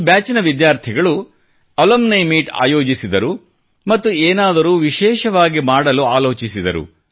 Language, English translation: Kannada, Actually, students of this batch held an Alumni Meet and thought of doing something different